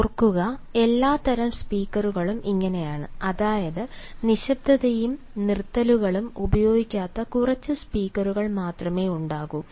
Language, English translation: Malayalam, i mean there will be only few speakers who will not make use of silence and pauses